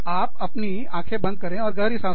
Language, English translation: Hindi, Close your eyes, take a deep breath